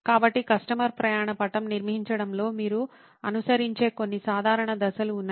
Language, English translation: Telugu, So, there are a few generic steps that you can follow in constructing a customer journey map